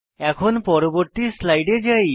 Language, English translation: Bengali, Let us go to the next slide